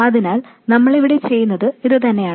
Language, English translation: Malayalam, So that's exactly what we are doing here